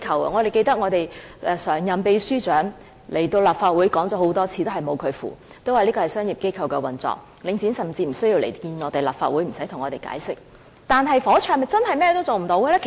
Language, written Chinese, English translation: Cantonese, 我記得我們的常任秘書長來立法會討論過很多次，但仍是一籌莫展，說這是商業機構的運作，領展甚至無須到立法會來見我們和向我們解釋。, I remember that our Permanent Secretary once came to the Legislative Council to have discussions with us on many occasions but the Government remained unable to do anything saying that Link REIT operates on commercial principles . Link REIT does not even have to come to the Legislative Council to meet with us and give explanations